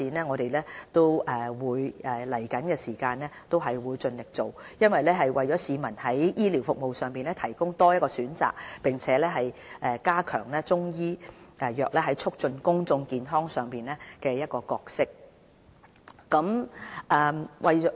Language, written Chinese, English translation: Cantonese, 我們在將來會盡力推動中醫藥的發展，在醫療服務上為市民提供多一個選擇，並加強中醫藥在促進公眾健康方面的角色。, We will spare no effort in promoting the development of Chinese medicine to give the public an additional health care choice . We will also seek to enhance the role of Chinese medicine in the promotion of public health